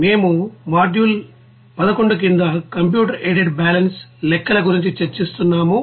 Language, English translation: Telugu, So we are discussing about the computer aided balance calculations under module 11